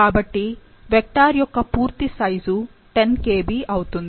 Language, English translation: Telugu, So, the total size of the vector here is 10 Kb